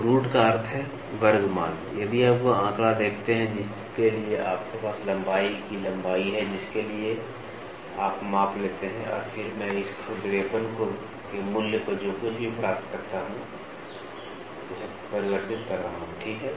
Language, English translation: Hindi, So, root mean square value, if you see the figure you have a length of span for which you take the measurement and then I am just converting this roughness value whatever you get, ok